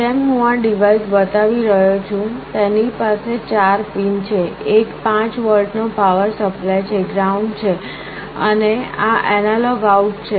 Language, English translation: Gujarati, Like I am showing this device, it has four pins; one is the power supply 5 volts, ground, then this is analog out